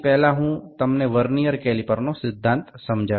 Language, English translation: Bengali, So, I will first explain the Vernier principle, the principle of the Vernier caliper